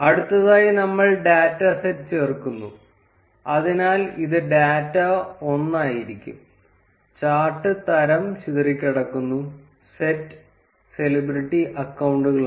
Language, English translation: Malayalam, Then next we add the data set, so it would be data one, type of chart is scatter, and the set is celebrity accounts